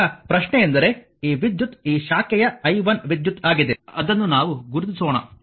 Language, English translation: Kannada, Now, question is that your ah this current is i 1 , ah this this branch current let me mark it for you